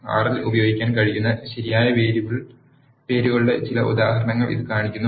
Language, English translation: Malayalam, This shows some examples of the correct variable names that can be used in R